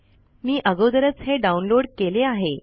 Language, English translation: Marathi, I have already downloaded it here